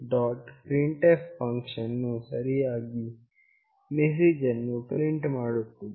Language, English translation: Kannada, printf function will print the appropriate message